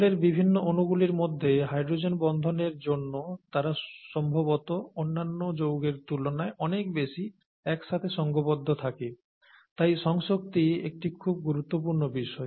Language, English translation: Bengali, Because of the hydrogen bonds between the various molecules of water they tend to stick together a lot more than probably many other substances, many other compounds